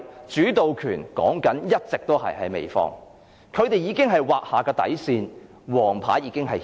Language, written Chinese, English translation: Cantonese, 主導權一直也在美方，他們已劃下底線，已亮出黃牌。, The United States have always had the final say on that . They have drawn the bottom line and shown a yellow card